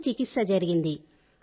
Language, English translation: Telugu, It has been a great treatment